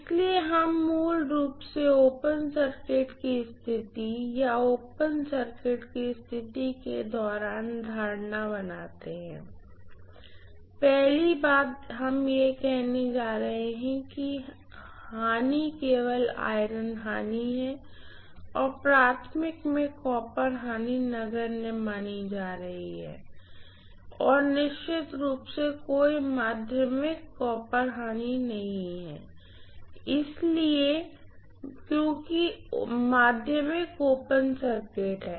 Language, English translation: Hindi, So we make basically the assumptions during open circuit condition or open circuit test condition is first thing we are going to say is that the losses are only iron losses and copper losses in the primary are neglected, and of course there is no secondary copper loss at all because secondary is open circuited